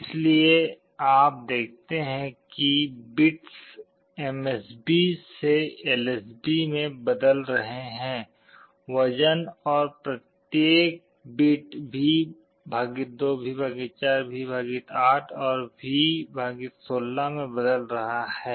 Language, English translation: Hindi, So, you see as the bits are changing MSB to LSB the weight of each of the bit is becoming V / 2, V / 4, V / 8, and V / 16